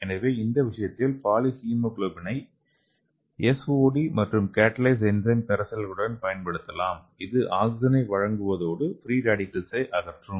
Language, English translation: Tamil, So in this case we can use that poly hemoglobin with SOD and Catalase enzyme solution, so it can be supply the oxygen and also it will remove the oxygen radicals it is having dual function okay